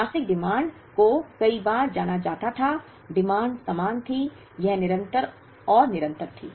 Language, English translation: Hindi, The monthly demands were known many times, the demand was the same, it was constant and continuous